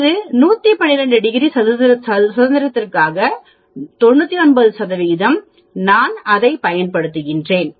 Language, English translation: Tamil, And that is for 112 degrees of freedom, for 99 percent so I use that